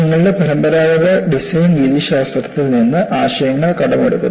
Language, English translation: Malayalam, So, you borrow the ideas from your conventional design methodology